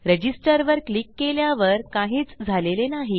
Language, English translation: Marathi, Click on Register and nothings happened